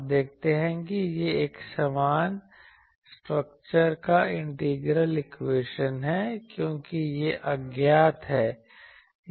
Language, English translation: Hindi, You see it is a similar structure integral equation, because this is unknown